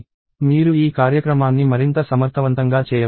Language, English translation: Telugu, You can make this program more efficient